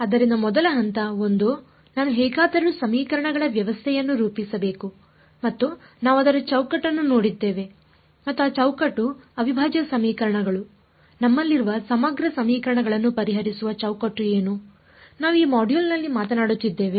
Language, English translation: Kannada, So, first step 1 I have to somehow get into formulating a system of equations and we have seen the framework for it and that framework is integral equations what is the framework for solving integral equations, we have we are talking about in this module